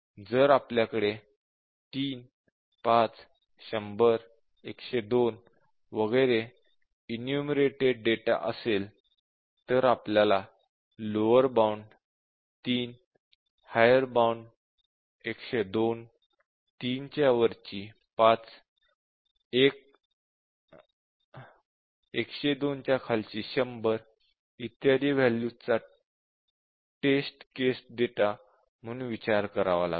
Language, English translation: Marathi, So, if we have a enumerated data 3, 5, 100, 102 etcetera, we would have to consider the lower bound 3, the higher bound 102, just above 3 which is 5, and the value which is just below 102 which is 100, it should written 100 and a value 1, sorry we should have written as 1